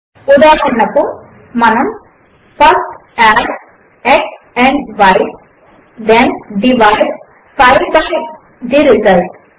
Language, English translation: Telugu, For example, how do we write First add x and y, then divide 5 by the result